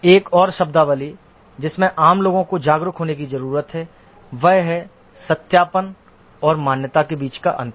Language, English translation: Hindi, Another terminology that a manager needs to be aware is the difference between verification and validation